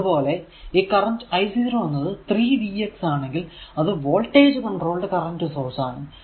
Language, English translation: Malayalam, So, i 0 is equal to 3 v x and this is your what you call voltage controlled current source